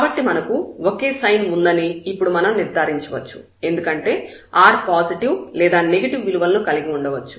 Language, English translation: Telugu, So, we can conclude now that we have the same sign because r will have either positive or negative